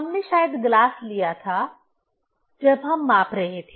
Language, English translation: Hindi, We took probably glass when we were measuring